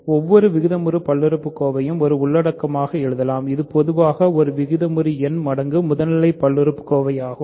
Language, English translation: Tamil, We can write every rational polynomial as a content which is in general a rational number times a primitive polynomial